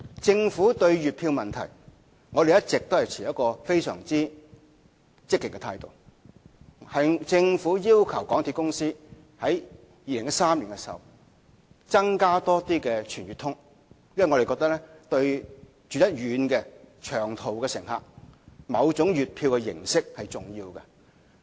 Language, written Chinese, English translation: Cantonese, 政府對月票問題一直持非常積極的態度，政府在2013年要求香港鐵路有限公司推出更多"全月通"計劃，因為我們覺得對居於偏遠地區的長途乘客而言，某種的月票形式是重要的。, The Governments attitude towards the issue of monthly pass schemes has been very proactive all along . In 2013 the Government asked the MTR Corporation Limited MTRCL to introduce more Monthly Pass schemes because we thought that monthly pass schemes in certain forms were important to long - haul passengers living in remote areas